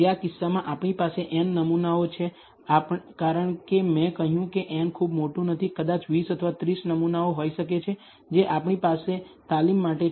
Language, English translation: Gujarati, In this case, we have n samples as I said n is not very large may be 20 or 30 samples we have for training